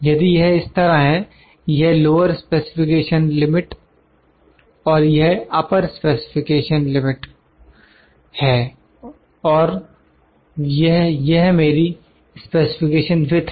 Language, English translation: Hindi, If it is like this, this is lower specification limit and this is upper specification limit and this is my specification width